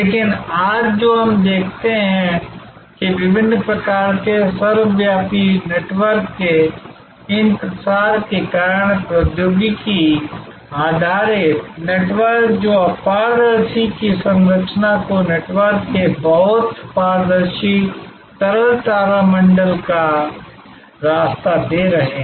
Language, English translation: Hindi, But, what we see today that because of these proliferation of different types of ubiquitous networks, technology based networks that opaque’s structure is giving way to a very transparent fluid constellation of networks